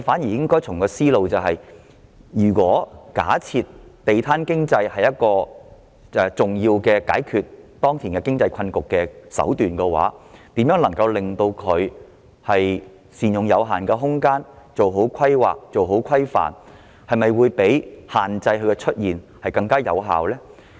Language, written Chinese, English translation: Cantonese, 正確的思路應該是，假設"地攤經濟"是解決當前經濟困局的一種重要手段，那麼善用有限空間做好規劃和規範相比限制地攤出現，是否更有效呢？, The correct line of thought should be this . Suppose a street vendor economy is an important means to resolve the current economic stalemate . Then wont you agree that proper planning and regulation for the purpose of optimizing our limited space will be more effective than restricting the emergence of street vendors?